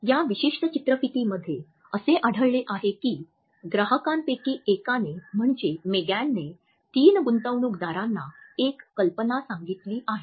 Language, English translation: Marathi, In this particular clip we find that one of the clients Megan has to pitch three investors